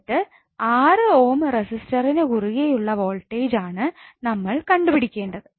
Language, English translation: Malayalam, Now you need to find out the voltage across 4 Ohm resistor